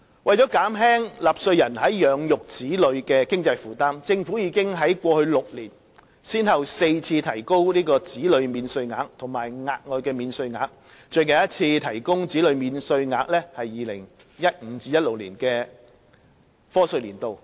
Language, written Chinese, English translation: Cantonese, 為了減輕納稅人養育子女的經濟負擔，政府已在過去6年先後4次提高子女免稅額和額外的免稅額。最近一次提高子女免稅額是 2015-2016 年度的課稅年度。, To alleviate the financial burden of taxpayers in bringing up their children the Government has for four times over the past six years increased the Child Allowance and the additional allowance for tax deduction with the most recent increase of the Child Allowance in the year of assessment 2015 - 2016